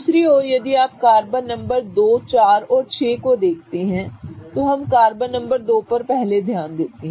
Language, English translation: Hindi, On the other hand if you see carbon number 2 4 and 6 let's focus on carbon number 2